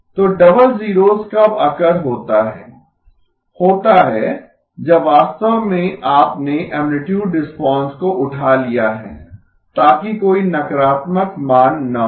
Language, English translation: Hindi, So when does the double zeros occur, is when you actually have lifted the amplitude response, so that there is no negative values